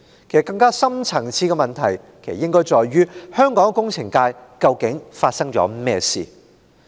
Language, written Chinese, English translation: Cantonese, 更深層次的問題是：香港工程界究竟發生了甚麼事？, They point to a more deep - seated problem What is happening in the engineering sector of Hong Kong?